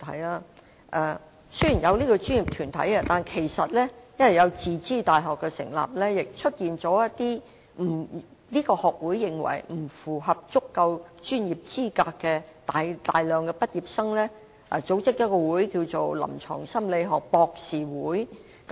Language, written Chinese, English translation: Cantonese, 雖然現已設立有關的專業團體，但由於一些自資大學的畢業生被此學會認為不符合足夠專業資格，他們因而自行成立一個名為臨床心理學博士協會的學會。, Although a relevant professional body has already been set up some graduates of self - financed universities whose professional qualifications are not recognized by HKPS have established the Hong Kong Association of Doctors in Clinical Psychology on their own